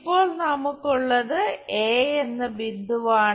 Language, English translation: Malayalam, Now, what we have is point A